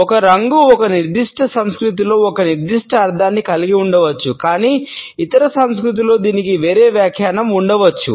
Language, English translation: Telugu, A color may have a particular meaning in a particular culture, but in the other culture it may have a different interpretation